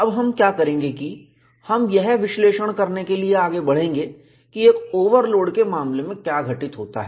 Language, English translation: Hindi, Now, what we will do is, we will move on to analyze, what happens in the case of a overload